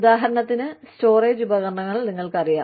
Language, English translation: Malayalam, You know, the storage devices, for example